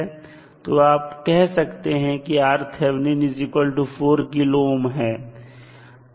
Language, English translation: Hindi, That is the value of 4 kilo ohm resistance